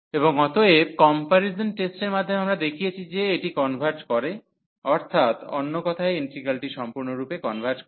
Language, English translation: Bengali, And therefore, by the comparison test we have shown that this converges meaning that integral in other words converges absolutely yeah